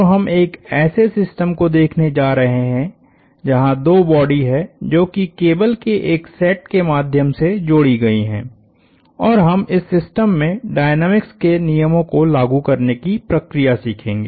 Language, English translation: Hindi, So, we are going to look at a system, where now two bodies that couple through a set of cables and we will learn the process of applying the laws of dynamics to this system